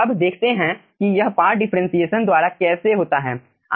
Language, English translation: Hindi, now let us see how this aah by parts differentiation goes